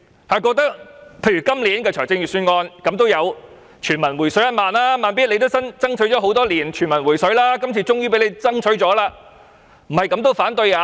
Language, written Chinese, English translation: Cantonese, 他們覺得今年的預算案有全民"回水 "1 萬元，"慢咇"爭取多年，今年終於成功爭取，怎樣還要反對？, In their view since this Budget will rebate 10,000 to all citizens there is no point for Slow Beat who has been striving for the rebate for so many years to oppose the Budget since he has got what he wants